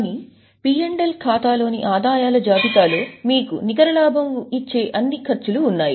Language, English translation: Telugu, But in P&L account there was a list of incomes lessed all the expenses giving you net profit